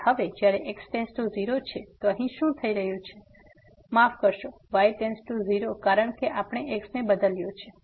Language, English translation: Gujarati, And now when goes to 0, so what is happening here sorry goes to 0 because we have replaced the